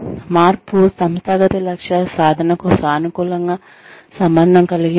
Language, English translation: Telugu, Is the change, positively related to the achievement, of organizational goals